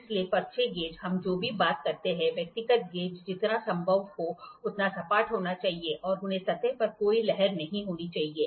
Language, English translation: Hindi, So, the slip gauges whatever we talk about, individual gauges should be as flat as possible it should not have any undulation on surface